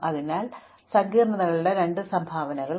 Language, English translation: Malayalam, So, we have now two contributions to our complexity